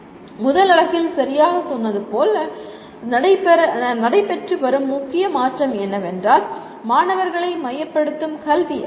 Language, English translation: Tamil, As we said right in the first unit, the major shift that is taking place is making the education student centric